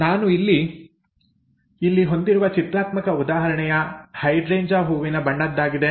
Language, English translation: Kannada, The pictorial example that I have here is the colour of a hydrangea flower